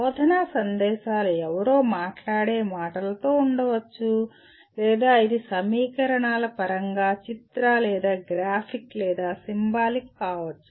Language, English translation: Telugu, The instructional messages can be verbal that is somebody speaking or it can be pictorial or graphic or symbolic in terms of equations